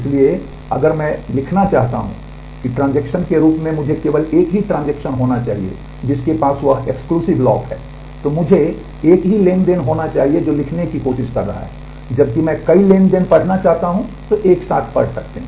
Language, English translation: Hindi, So, if I want to write that as a transaction I must be the only transaction who is who has to have that exclusive lock I must be the only transaction who is trying to write, but when I want to read many transactions can simultaneously read